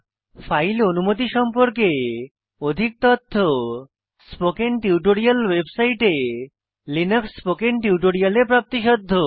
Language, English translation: Bengali, More information on file permissions is available in the Linux spoken tutorials available on the spoken tutorial website